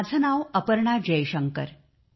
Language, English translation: Marathi, My name is Aparna Jaishankar